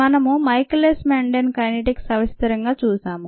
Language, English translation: Telugu, we looked at michaelis menten kinetics in detail